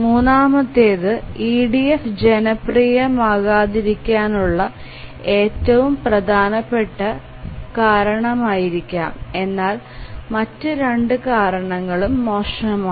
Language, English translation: Malayalam, So, the third one is possibly the most important reason why EDF is not popular but then the other two reasons also are bad